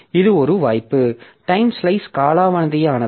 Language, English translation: Tamil, Another possibility is that the time slice has expired